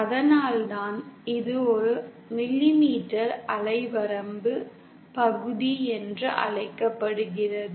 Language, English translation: Tamil, That is why it is called as a millimetre wave range/region